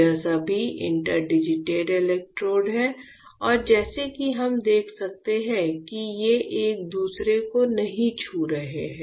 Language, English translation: Hindi, These are all interdigited electrodes and as we can see they are not touching each other right